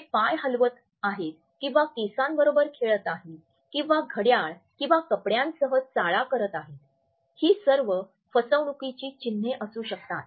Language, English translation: Marathi, Are they shuffling the feet or playing with the hair or massing with the watch or clothing, all these could be potential signs of deceit